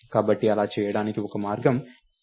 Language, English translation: Telugu, So, one way to do that is use ptr arrow x